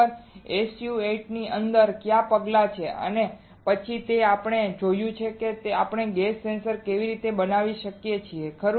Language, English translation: Gujarati, Within an s u 8 what are the steps then we have also seen how we can fabricate a gas sensor right